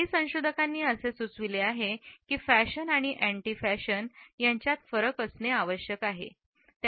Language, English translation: Marathi, Some researchers suggest that a distinction has to be drawn between fashion and anti fashion